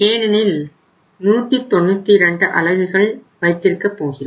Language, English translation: Tamil, If it is becoming 192 units so in that case what will be there